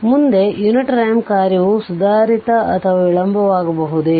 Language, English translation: Kannada, So, next, the unit ramp function may be advanced or delayed right